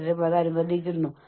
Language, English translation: Malayalam, You may feel stressed